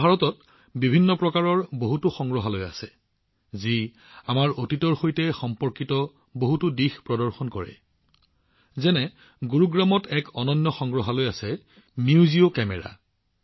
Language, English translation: Assamese, We have many different types of museums in India, which display many aspects related to our past, like, Gurugram has a unique museum Museo Camera